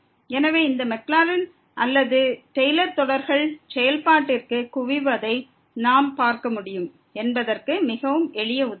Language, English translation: Tamil, So, it is very simple example where we can see that these Maclaurin or Taylor series they do not converge to the function